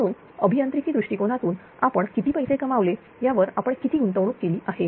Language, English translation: Marathi, So, as an engineering point of view you will see that how much you have invested at how much you have earned right